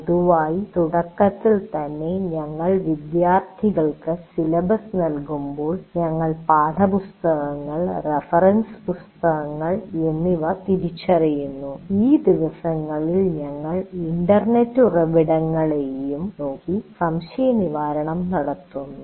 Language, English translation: Malayalam, Generally right in the beginning when we give the syllabus to the students, we identify text books, reference books, and these days we also refer to the internet sources